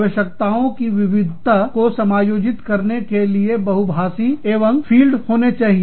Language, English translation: Hindi, Having multilingual capabilities and fields, that can accommodate diverse requirements